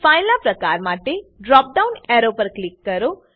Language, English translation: Gujarati, For File type, click on the drop down arrow